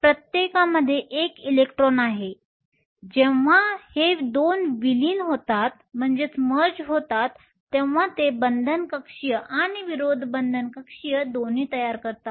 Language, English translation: Marathi, Each has one electron; when these 2 merge they form both a bonding and an anti bonding orbital